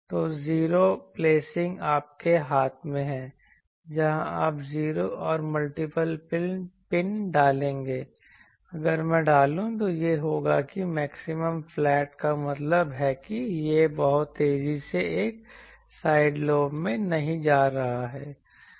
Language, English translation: Hindi, So, 0 placing is in your hand where you will place the 0s and if I multiple pins if I put, then it will be that maximally flat means it is not going to a side lobe of very higher sharply